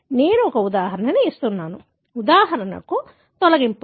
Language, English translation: Telugu, I am giving some example; for example, deletions